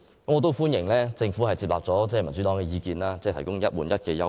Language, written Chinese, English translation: Cantonese, 我亦歡迎政府接納民主黨的意見，提供"一換一"的優惠。, I also welcome the Governments acceptance of the Democratic Partys view of introducing the one - for - one replacement concession